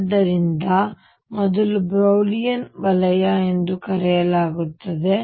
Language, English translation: Kannada, So, this is known as the first Brillouin zone